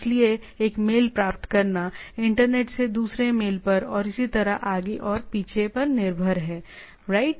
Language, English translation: Hindi, So, getting a mail, it is relayed to the internet to the other mail and so on and so forth, right